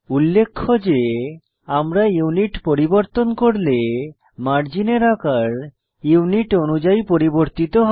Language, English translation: Bengali, Note that when we change the Unit, margin sizes automatically change to suit the Unit